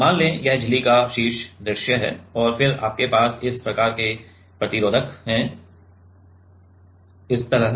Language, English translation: Hindi, So, let us say this is the top view of the membrane and then you have resistors like this, like this, like this ok